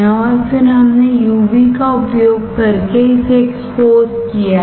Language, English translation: Hindi, And then I have exposed this using UV light